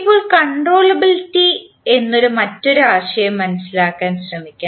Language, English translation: Malayalam, Now, let us try to understand another concept called concept of controllability